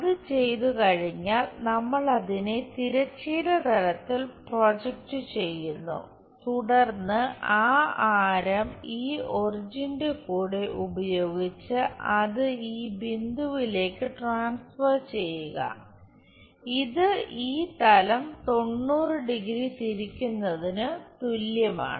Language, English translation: Malayalam, Once it is done, we project it on the horizontal plane, and then use this origin with that radius transfer it to this point, which is same as rotating this plane by 90 degrees